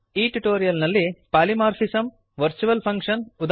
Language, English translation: Kannada, In this tutorial, we learnt Polymorphism